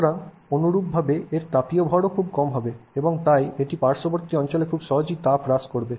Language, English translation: Bengali, So, correspondingly its thermal mass is also very small and therefore it loses heat very easily to the surroundings